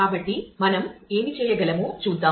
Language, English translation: Telugu, So, let us see what we can d